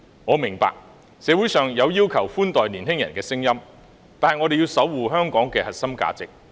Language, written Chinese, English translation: Cantonese, 我明白社會上有要求寬待年青人的聲音，但我們要守護香港的核心價值。, I understand that there are voices in society calling for lenient treatment of the young people but we need to safeguard the core values in Hong Kong